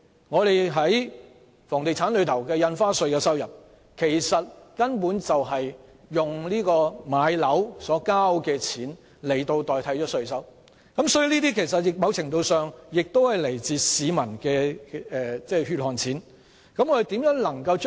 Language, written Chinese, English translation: Cantonese, 我們在房地產方面的印花稅收入根本是以買樓的錢代替稅收，所以某程度上亦是來自市民的"血汗錢"。, Our stamp duties on properties are basically proceeds from property transactions in lieu of taxes so in some measure they are also the hard - earned money of the public